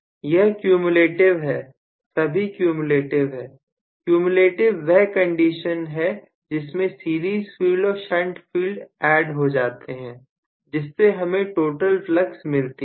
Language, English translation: Hindi, Student: Professor: That is cumulative all of them correspond to cumulative, cumulative is the condition where the series field and shunt field are added together to give me the total flux